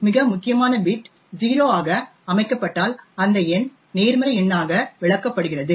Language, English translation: Tamil, If the most significant bit is set is to 0 then the number is interpreted as a positive number